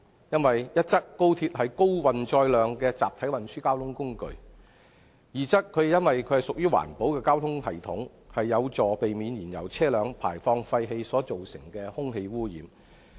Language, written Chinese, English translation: Cantonese, 因為一則，高速鐵路是高運載量的集體運輸交通工具；二則，它屬於環保交通系統，不是燃油車輛，有助避免排放廢氣所造成的空氣污染。, First express rail link is a high - volume means of mass transport . Second unlike fuel - engined vehicles express rail link is an environmental - friendly transport system which helps reduce air pollution due to emission